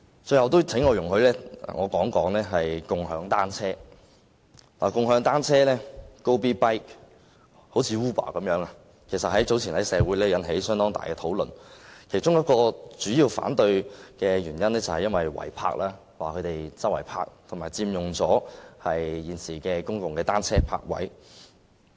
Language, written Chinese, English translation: Cantonese, 最後，請容許我談談"共享單車 "，Gobee.bike 一如 Uber 般，早前在社會引起了相當大的爭議，反對它的其中一個主要原因是違泊，反對者指用家隨處停泊單車，並佔用了現時的公共單車泊位。, Like Uber Gobeebike has aroused a great controversy in society earlier . One of the main reasons for the opposition is illegal parking . Opponents alleged that the users parked the bicycles anywhere and occupied the existing public bicycle parking spaces